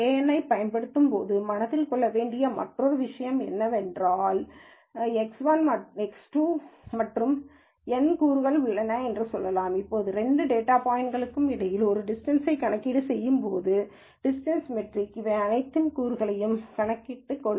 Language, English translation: Tamil, The other thing to keep in mind when using kNN is that, when you do a distance between two data points X 1 and X 2 let us say, and let us say there are n components in this, the distance metric will take all of these components into picture